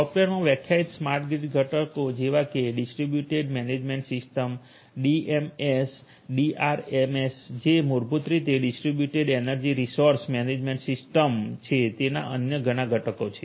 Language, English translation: Gujarati, There are different other components in the software defined smart grid in know components such as the Distributed Management System the DMS, the DERMS which is basically they are Distributed Energy Resource Management System